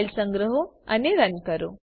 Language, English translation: Gujarati, save the file and run it